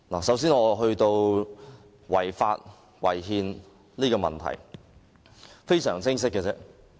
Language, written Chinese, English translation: Cantonese, 首先，我會談違法、違憲的問題，這是非常清晰的。, First of all I will discuss the issue concerning the Bill being unlawful and unconstitutional which is crystal clear